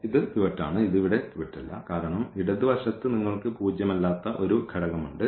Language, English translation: Malayalam, Now, coming to the right one this is pivot see this is not the pivot here because the left you have a non zero element